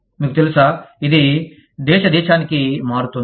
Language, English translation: Telugu, You know, it varies from, country to country